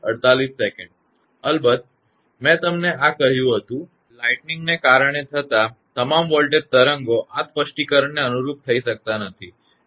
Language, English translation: Gujarati, I told you this one of course, not all of the voltages waves caused by lightning can conform to this specification